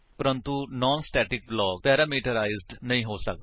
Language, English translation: Punjabi, But the non static block cannot be parameterized